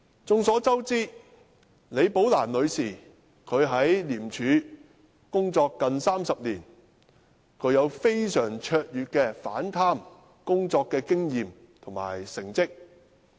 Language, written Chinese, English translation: Cantonese, 眾所周知，李寶蘭女士在廉署工作近30年，具非常卓越的反貪工作經驗及成績。, As we all know Ms Rebecca LI had worked in ICAC for almost three decades . With excellent experience and track records in fighting corruption she commanded extensive respect from ICAC officers